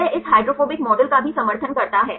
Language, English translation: Hindi, This also supports this hydrophobic model right